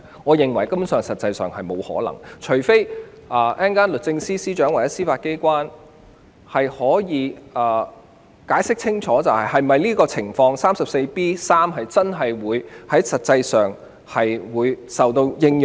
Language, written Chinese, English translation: Cantonese, 我認為這情況根本沒有可能出現，除非律政司司長或司法機構稍後清楚解釋，第 34B3 條的情況實際上真的適用。, I do not think so unless the Secretary for Justice or the Judiciary can later explain clearly when section 34B3 will actually apply